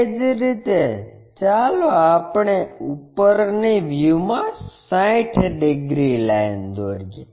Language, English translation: Gujarati, Similarly, let us draw in the top view 60 degrees line